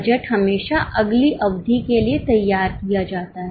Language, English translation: Hindi, Budget is always prepared for the next period